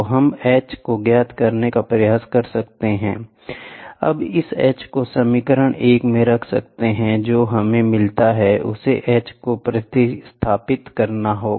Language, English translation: Hindi, So, we can try to find out h, now substituting this h back into this equation 1, what we get is to substituting h